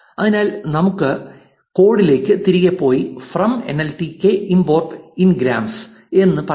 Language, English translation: Malayalam, So, let us go back to the code and say from nltk import ngrams